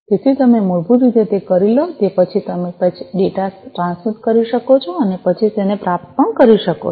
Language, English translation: Gujarati, So, after you have done that basically, you know, you can then transmit the data and then also receive it